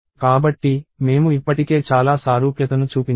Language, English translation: Telugu, So, I already showed something very similar